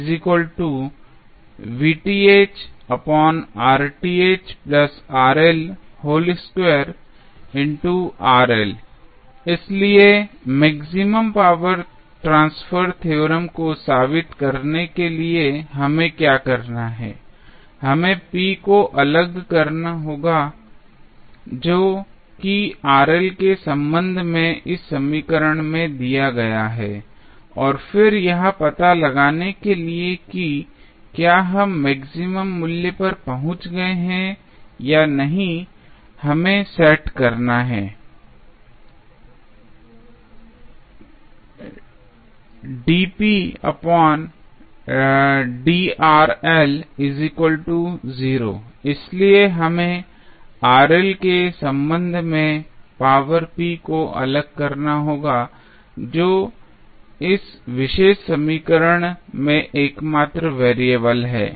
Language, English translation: Hindi, So, to prove the maximum power transfer theorem, what we have to do, we have to differentiate p which is given in this equation with respect to Rl and then for finding out whether we are reaching at maximum value or not we have to set the dp by dRl equal to 0